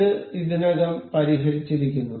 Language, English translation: Malayalam, So, this is already fixed